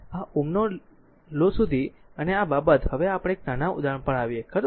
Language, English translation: Gujarati, Now, up to this your Ohm’s law and this thing let us come now to a small example, right